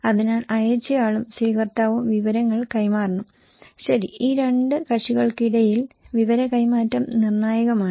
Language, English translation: Malayalam, So, sender and receiver they should exchange information, okay, exchange of information is critical between these two parties